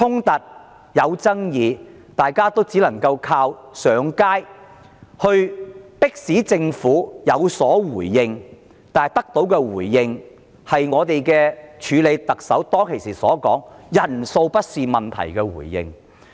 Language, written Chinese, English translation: Cantonese, 大家只能靠上街遊行迫使政府回應，而我們得到的是署任特首說人數多寡不是重點的回應。, We can only press the Government for a reply by taking to the streets and what we get is a reply from the Acting Chief Executive that turnout is not a big concern